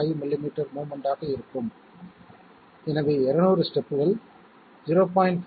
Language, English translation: Tamil, 5 millimetres of movement, so 200 steps giving 0